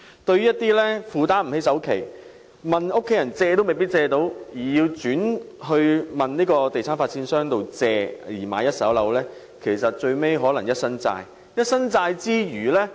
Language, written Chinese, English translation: Cantonese, 對於一些無法負擔首期，又沒有家人幫忙而要向地產發展商借錢購買一手樓宇的人，他們最終可能換來一身債。, For those who cannot afford the down payment and have to buy first - hand flats with loans from property developers in the absence of financial support from family members they may end up heavily indebted